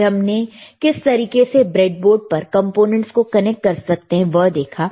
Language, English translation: Hindi, Then we have seen the how to connect the components to the breadboard